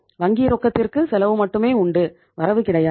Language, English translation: Tamil, Cash at bank only has a cost, no returns